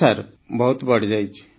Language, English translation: Odia, Yes Sir, it has increased a lot